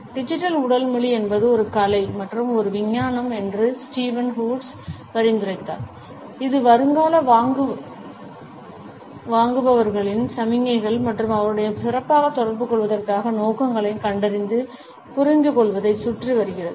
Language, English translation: Tamil, Steven Woods suggested that digital body language is an art as well as a science which revolves around detecting and understanding prospective buyers signals and intentions to better communicate with them